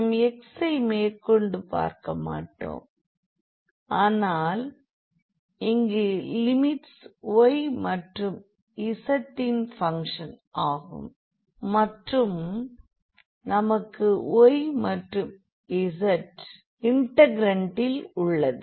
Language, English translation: Tamil, So, we will not see x anymore, but the limits can be here the function of y z here can be the function of y z and then we will have also the y z in the integrand